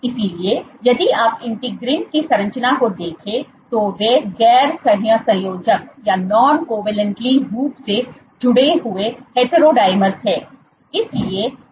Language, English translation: Hindi, So, if you look at the structure of integrins, they are non covalently associated heterodimers